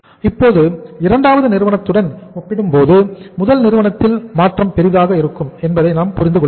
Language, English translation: Tamil, Now, we are understanding that change will be bigger in first firm as compared to the second firm